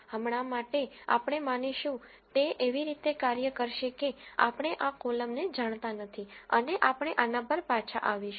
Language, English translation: Gujarati, For now, what we assume is will act such a way that we do not know this column and we will come back to this